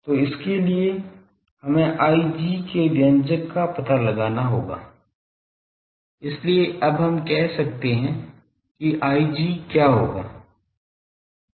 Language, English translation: Hindi, So, for that we will have to find out the expression for I g so, we now that what will be I g